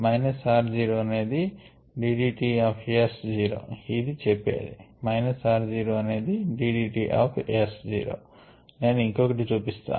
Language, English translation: Telugu, for the first term, minus r zero is d d t of s zero, which is what this one says, minus r zero